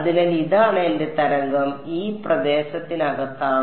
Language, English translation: Malayalam, So, this is my wave is inside this region over here